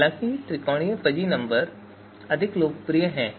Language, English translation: Hindi, However, more popular being the triangular fuzzy number